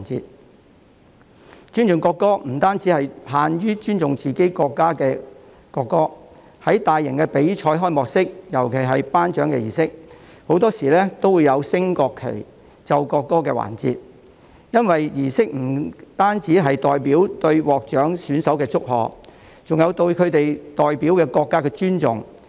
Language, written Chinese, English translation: Cantonese, 說到尊重國歌，其實不限於尊重自己國家的國歌，在大型比賽的開幕式及頒獎儀式中，很多時都會有升國旗、奏國歌的環節，因為這些儀式不僅是對獲獎選手的祝賀，亦是對其代表國家的尊重。, Speaking of respect for the national anthem it is actually not confined to showing respect for the national anthem of our own country . In the opening ceremony and awards ceremony of some large - scale competitions there are often occasions where national flags are raised and national anthems were played . It is because these ceremonies are held not only to congratulate the winners but they are also a token of respect for the countries that they represent